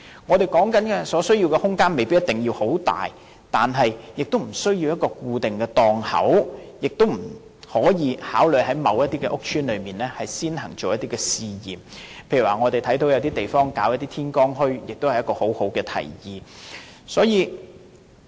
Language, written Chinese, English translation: Cantonese, 我們說的空間，不一定要很大，亦不需要有固定的檔口，也可以在某些屋邨先行試驗，例如我們看到有些地方舉辦天光墟，這也是十分好的提議。, These spaces that we are talking about do not necessarily have to be very large in size nor is it necessary to provide fixed stalls . Trials can be done in certain public housing estates as a start . For example we have seen that morning bazaars are set up in some places and this is a very good proposal